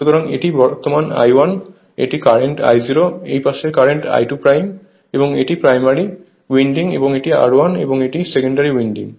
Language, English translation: Bengali, So, this is the current I 1, this is the current I 0 and this side current is say we are taking I 2 dash and this is my primary winding right and this is my R 1 and my secondary winding is this one